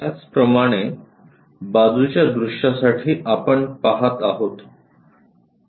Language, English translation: Marathi, Similarly, for the side view if we are looking